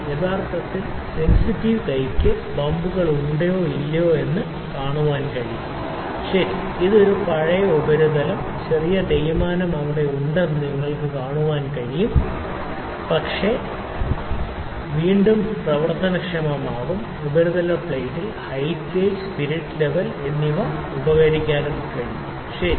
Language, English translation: Malayalam, actually the hands sensitive hand can see whether there are bumps or not, ok, this is an old surface plane, you can see there is small wear and tear here, ok, but this is again workable we will use height gauge, spirit level and other instrument on the surface plate, ok